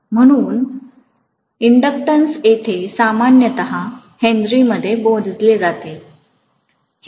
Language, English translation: Marathi, So inductance is here normally measured in Henry